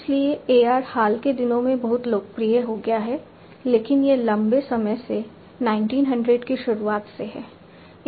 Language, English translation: Hindi, So, AR has become very popular in the recent times, but it has been there since long starting from early 1900s